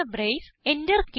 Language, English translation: Malayalam, Close the brace